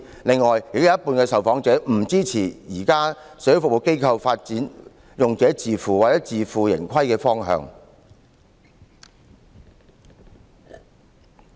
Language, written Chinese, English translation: Cantonese, 最後，亦有一半受訪者不支持現行社會服務機構發展用者自付或自負盈虧的方向。, Finally half of the respondents do not support the direction of user - pays or self - financing which is currently adopted by social service organizations